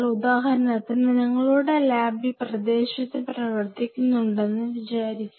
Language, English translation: Malayalam, So, say for example, your lab has been working on this area